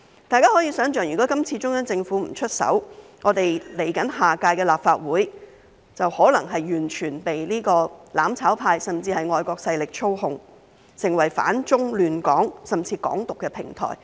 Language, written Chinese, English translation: Cantonese, 大家可以想象，如果今次中央政府不出手，我們來屆立法會便可能是完全被"攬炒派"，甚至外國勢力操控，成為反中亂港甚至"港獨"的平台。, We can imagine that had the Central Government not intervened this time around our next Legislative Council would be completely controlled by the mutual destruction camp or even foreign forces and become a platform for opposing China disrupting Hong Kong or even advocating Hong Kong independence